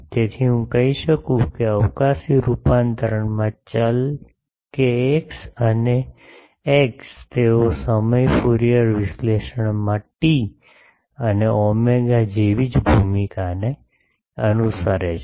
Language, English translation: Gujarati, So, I can say that the variable kx and x in the spatial transform they follow the same role as t and omega in time signals Fourier analysis